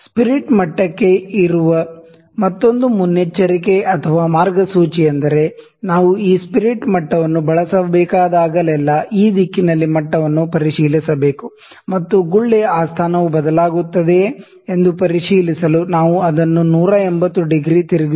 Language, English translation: Kannada, Another precautions or guidelines for spirit level is that whenever we need to use this spirit level, we can check the level in this direction, and also we turn it 180 degree to check if that position of the bubble changes